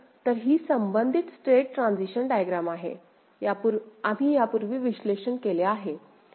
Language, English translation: Marathi, The corresponding state transition diagram is this we have analyzed before